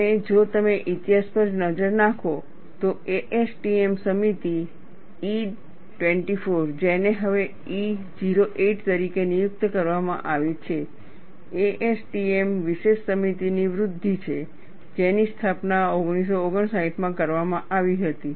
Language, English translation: Gujarati, And if you look at the history, ASTM committee E 24, which is now designated as E 08, is an outgrowth of ASTM special committee, which was instituted in 1959 and in any development, knowing the history is very important